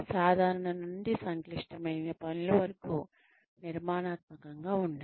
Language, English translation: Telugu, Be structured, from simple to complex tasks